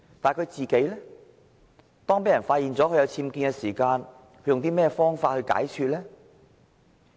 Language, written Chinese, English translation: Cantonese, 當他被人發現有僭建問題時，他是用甚麼方法來解說的呢？, When he was revealed to have unauthorized building works how did he explain his case?